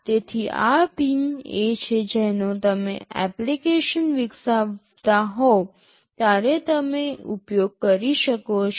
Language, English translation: Gujarati, So, these are the pins that you will be using when you are developing an application